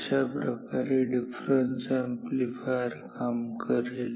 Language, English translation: Marathi, What is a difference amplifier